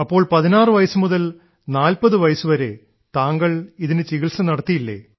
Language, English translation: Malayalam, So from the age of 16 to 40, you did not get treatment for this